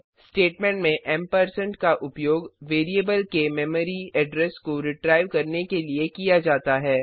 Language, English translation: Hindi, In the printf statement ampersand is used for retrieving memory address of the variable